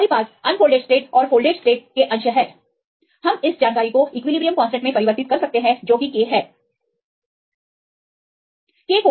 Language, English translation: Hindi, So, we have the unfolded state and the folded state fractions we can convert this information into equilibrium constant that is k